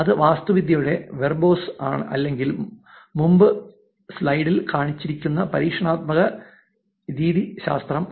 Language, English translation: Malayalam, That is the verbose of the architecture that was shown or the experimental methodology that was shown in the slide before